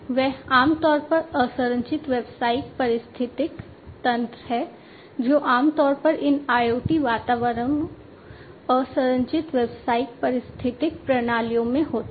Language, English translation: Hindi, They are typically unstructured business ecosystems that are typically encountered in these IoT environments, unstructured business ecosystems